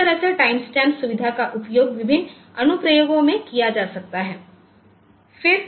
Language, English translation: Hindi, So, this way this time stamping feature can be utilized in different applications